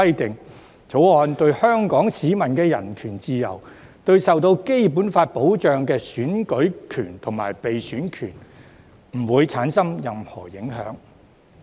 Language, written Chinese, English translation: Cantonese, 《條例草案》對於香港市民的人權自由，以及對於受《基本法》保障的選舉權和被選舉權，均不會構成任何影響。, The Bill will have no impact on the human rights and freedoms of Hong Kong people nor their rights to vote and stand for election which are protected under the Basic Law